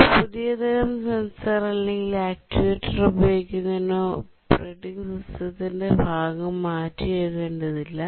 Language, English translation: Malayalam, Using a new type of sensor or actuator should not require to rewrite part of the operating system